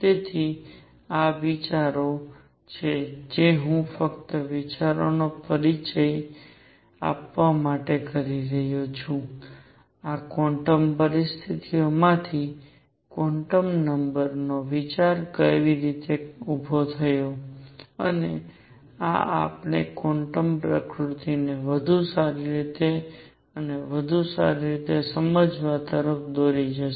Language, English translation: Gujarati, So, these are ideas I am just doing it to introduce to the ideas, how the idea of quantum numbers arose from these quantum conditions and these are going to lead us to understand the quantum nature better and better